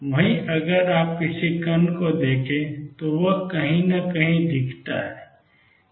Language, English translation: Hindi, On the other hand if you look at a particle, it is look like somewhere